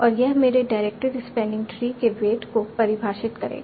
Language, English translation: Hindi, And then we'll define the weight of my diverted spanning tree